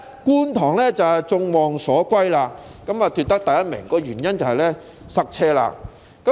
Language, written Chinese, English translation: Cantonese, 觀塘果然是眾望所歸，奪得第一名，原因便是交通擠塞。, Kwun Tong surely did not let us down as it topped the list because of the traffic there